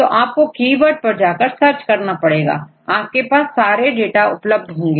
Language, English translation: Hindi, If you search with the keyword right, it will show you the all the data right